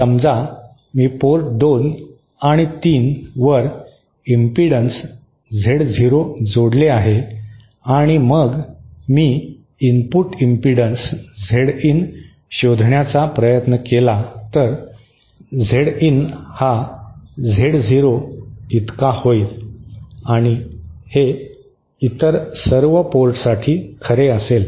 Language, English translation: Marathi, Suppose I connect impedance Z0 at ports 2 and 3 and then I try to find out the input impedance Z in, then Z in will be equal to Z0 and that will be true for all the other ports